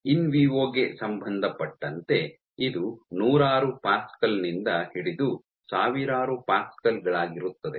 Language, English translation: Kannada, So, relevant to in vivo would be 100s of pascals to 1000s of pascals